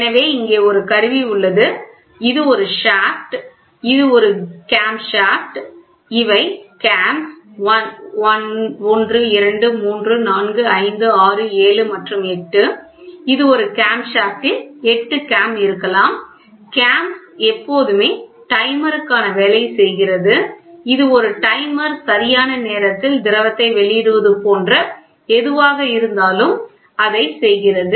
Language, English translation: Tamil, So, here is an instrument which is here is a shaft which is a cam shaft you can see these are cams 1, 2, 3, 4, 5, 6, 7 and 8, it is a cam shaft with a maybe 8 cam; cams are always given for timer it is something like a timer are timely release of fluid or whatever it is so, it is there